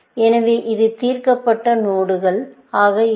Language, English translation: Tamil, So, this would be a solved node